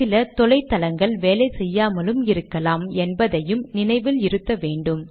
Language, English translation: Tamil, You have to keep in mind that its likely that some of the remote sites may be down